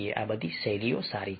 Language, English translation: Gujarati, so all these styles are good